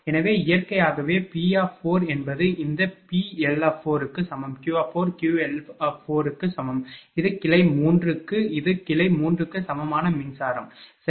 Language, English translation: Tamil, So, naturally P4 will be is equal to this one PL 4 similarly, Q 4 will be is equal to QL 4 and this is for branch 3 this is the electrical equivalent of branch 3, right